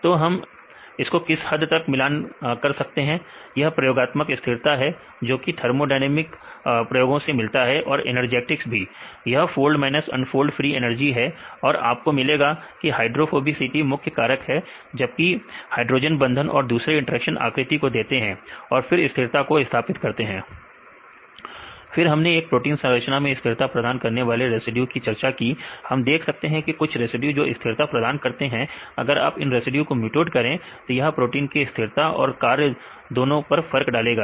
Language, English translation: Hindi, And see how far we can relate this is experimental stability right obtained from the thermodynamic experiments plus the energetics right this is the folded minus unfolded free energy say you found that the hydrophobicity is the major factor whereas, the hydrogen bonds and the other interaction right give the shape and then maintain this stability